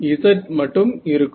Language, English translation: Tamil, A z is not 0 ok